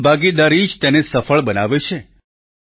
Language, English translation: Gujarati, It is public participation that makes it successful